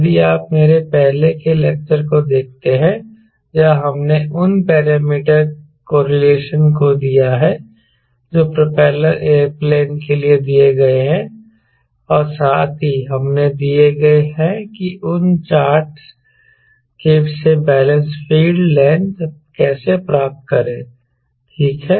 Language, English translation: Hindi, if you see, my earlier lecture were we have given those parameter correlation ah, even for popular aero plane, and also we have given how to get the balance feed length from those ah chart right